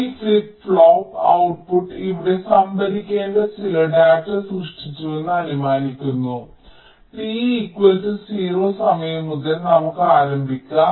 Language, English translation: Malayalam, lets say: lets start from time t equal to zero, where we are assuming that this flip pop output has generated some data that has to be stored here